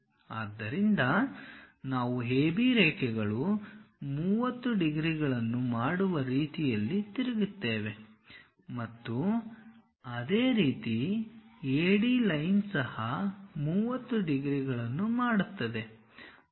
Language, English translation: Kannada, So, we rotate in such a way that AB lines this makes 30 degrees and similarly, AD line also makes 30 degrees